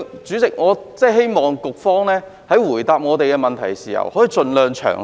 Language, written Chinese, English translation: Cantonese, 主席，我希望局方在回答我們的質詢時可以盡量詳細。, President I hope that the Bureau can answer our questions as comprehensively as possible